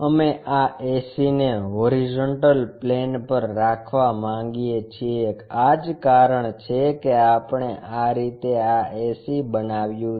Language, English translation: Gujarati, We want to keep this ac resting on this horizontal plane that is a reason we made this ac in this way